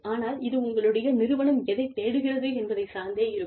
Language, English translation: Tamil, But, it depends on, what your organization is looking for